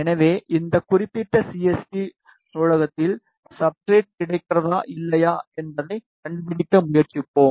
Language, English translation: Tamil, So, we will try to just find out whether the substrate is available in this particular CST library or not